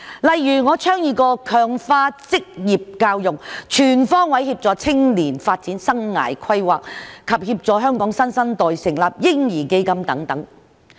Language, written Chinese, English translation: Cantonese, 例如我曾倡議強化職業教育，全方位協助青年發展生涯規劃，以及協助香港新生代成立嬰兒基金等。, For instance I have proposed motions on strengthening vocational education assisting young people in their development on all fronts and establishing a baby fund to assist the new generation in Hong Kong